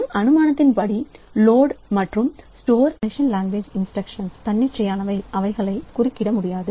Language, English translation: Tamil, We assume that the load and store machine language instructions are atomic, that is they cannot be interrupted